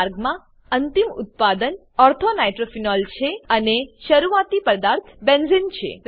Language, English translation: Gujarati, In this pathway, the final product is Ortho nitrophenol and the starting material is Benzene